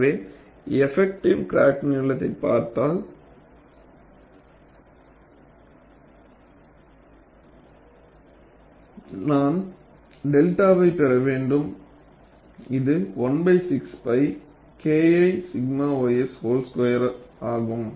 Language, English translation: Tamil, So, if I look at the effective crack length, I would have to get delta which would be 1 by 6 pi K 1 by sigma ys whole square